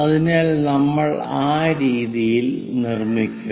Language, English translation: Malayalam, So, in that way, we will construct